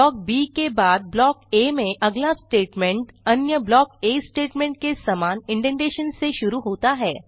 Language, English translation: Hindi, After Block B the next statement in Block A starts from the same indentation level of other Block A Statements